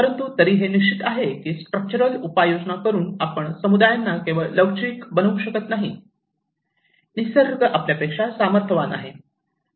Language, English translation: Marathi, But still it is sure that by structural measures, you cannot simply make communities resilient, nature is more powerful than you